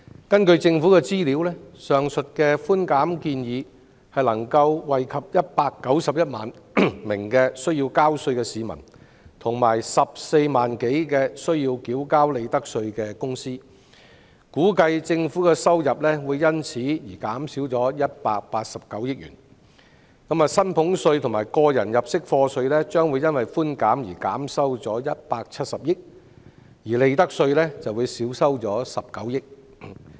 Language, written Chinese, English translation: Cantonese, 根據政府的資料，上述的寬減建議可惠及191萬名需要交稅的市民及14多萬間須繳交利得稅的公司，估計政府的收入會因而減少189億元，其中薪俸稅和個人入息課稅將會因寬減而少收170億元，利得稅則會少收19億元。, According to the information provided by the Government the above concession proposal will benefit 1.91 million tax - paying citizens and more than 140 000 profits tax - paying companies . It is estimated that the Government will thus forgo 18.9 billion in revenue of which 17 billion comes from concessions in salaries tax and tax under PA and 1.9 billion from concessions in profits tax